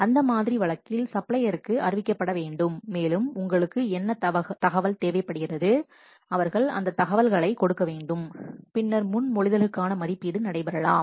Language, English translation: Tamil, In that case, the supplier has to be informed and what information you require more, they have to give those information and then the evaluation of the proposals may take place